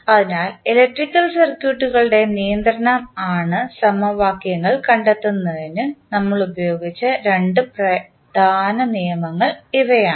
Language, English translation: Malayalam, So, these were the two major laws which we used in finding out the governing equations for the electrical circuits